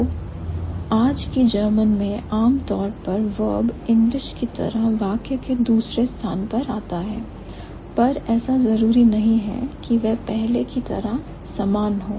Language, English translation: Hindi, So, in today's German, the verb is normally second in the main sentence as in English, but it may not be the same before